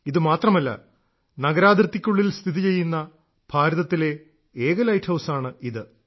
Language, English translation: Malayalam, Not only this, it is also the only light house in India which is within the city limits